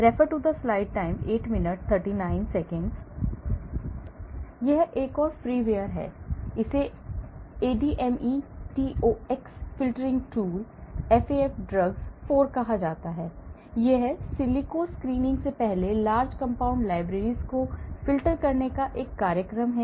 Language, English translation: Hindi, So, there is another freeware, it is called ADME Tox filtering tool, FAF drugs 4, this is a program for filtering large compound libraries prior to in silico screening